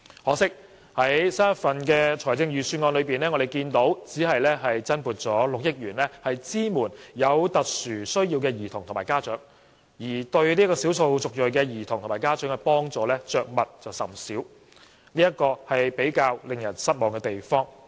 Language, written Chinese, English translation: Cantonese, 可惜，新一份預算案只增撥約6億元支援有特殊需要的兒童及家長，而對少數族裔兒童及家長的幫助卻着墨甚少，這是比較令人失望的地方。, Unfortunately the new Budget only provides about 600 million to support SEN children and their parents and not much is mentioned about providing assistance to ethnic minority children and their parents which is rather disappointing